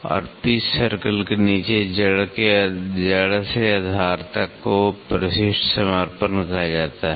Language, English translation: Hindi, And, below the pitch circle to the root to the base is called as addendum dedendum